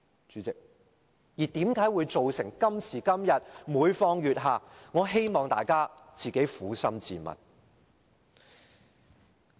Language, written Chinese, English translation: Cantonese, 主席，為何今時今日會每況愈下，我希望大家撫心自問。, President how come the situation has been deteriorating today I hope Members should be honest with themselves